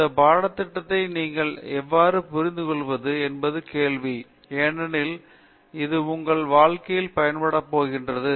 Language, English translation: Tamil, How you have comprehended this syllabus is the question because that is what you are going to make use of in your career